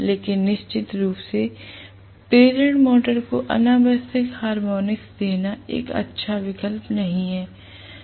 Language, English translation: Hindi, But it definitely not a good option to feed the induction motor with unnecessary harmonics that is not a good option at all